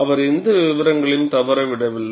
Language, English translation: Tamil, He did not miss out the details